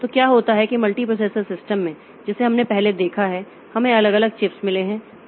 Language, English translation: Hindi, So, what happens is that in the multiprocessor system that we have looked into previously, so we have got separate separate chips